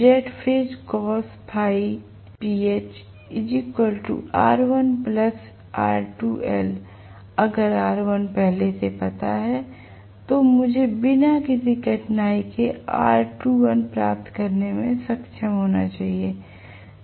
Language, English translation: Hindi, If I know r1 already is should be able to get what is r2 dash without any difficulty